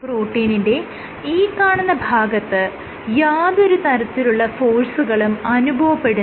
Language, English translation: Malayalam, So, this portion of the protein will not experience any forces